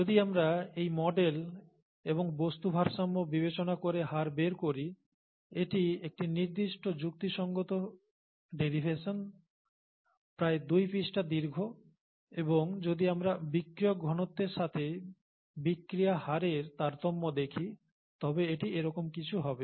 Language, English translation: Bengali, If we work out the rates by using this model and material balance considerations, okay, it’s a reasonable derivation, about two pages long and if we if we look at how the variation is with the substrate concentration, variation of the rate of the reaction with substrate concentration, it will be something like this